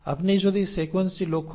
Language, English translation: Bengali, So if you look at the sequence this is UCC